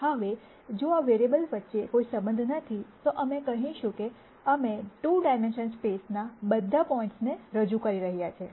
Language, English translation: Gujarati, Now, if you have no relationships between these variables, then we would say that we are representing all the points in the 2 dimensional space